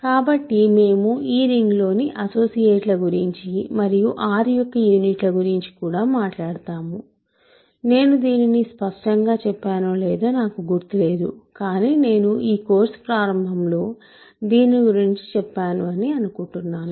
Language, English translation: Telugu, So, we can also talk about associates in this ring and what are units of R, I do not recall if I explicitly did this, but I mentioned this I think sometime in the beginning of this course